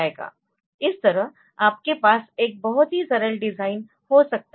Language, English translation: Hindi, So, you can have a very simple design like this